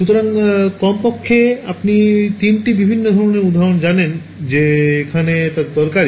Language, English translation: Bengali, So, there are at least you know three different kinds of examples where this is useful